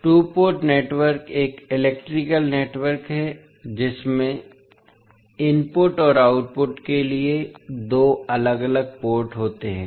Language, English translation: Hindi, Two port network is an electrical network with two separate ports for input and output